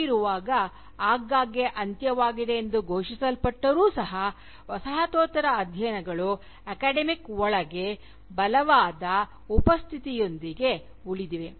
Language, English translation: Kannada, So, why is it, that in spite of frequently being declared dead, Postcolonial studies continue to remain a strong presence, within the academia